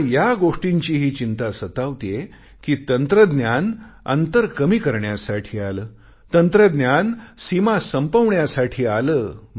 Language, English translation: Marathi, I am also worried that technology evolved to reduce the distance, technology came in to being to end the boundaries